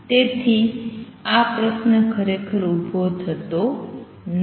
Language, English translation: Gujarati, So, this question does not really arise